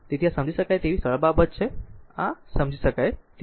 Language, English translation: Gujarati, So, this is a understandable a simple thing this is a understandable to you, right